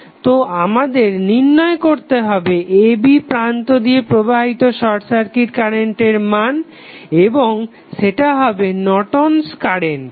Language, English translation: Bengali, So, we need to find out the short circuit current flowing through terminal a, b and that would be nothing but the Norton's current